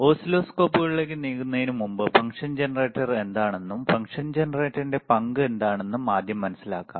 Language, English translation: Malayalam, But before we move to oscilloscopes, let us first understand what is the function generator is, and what is the role of function generator is, all right